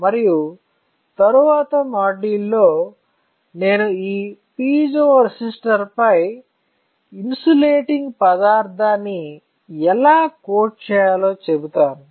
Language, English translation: Telugu, And in the next module, I will tell you how to coat an insulating material on this piezo resistor